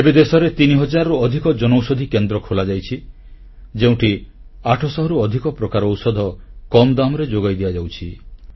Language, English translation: Odia, Presently, more than three thousand Jan Aushadhi Kendras have been opened across the country and more than eight hundred medicines are being made available there at an affordable price